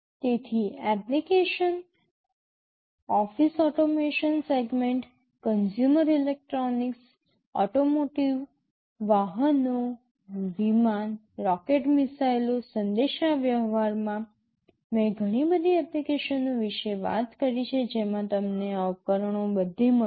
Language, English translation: Gujarati, So, there are many applications I already talked about in office automation segment, consumer electronics, automotive, vehicles, airplanes, rockets missiles, communication you will find these devices everywhere